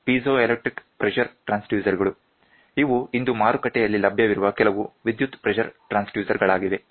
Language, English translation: Kannada, These are some of the electric pressure transducers which are available in the market today